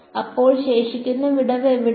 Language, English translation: Malayalam, So, where is the remaining gap